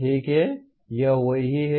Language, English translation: Hindi, Okay, that is what it is